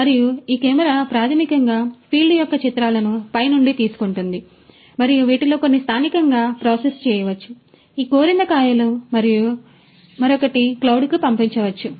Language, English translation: Telugu, And, this camera basically takes the images of the field you know from the top and some of this can be processed locally, in this raspberry and the other could be sent to the cloud